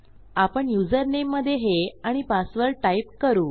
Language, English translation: Marathi, Let me type this in username and type in my password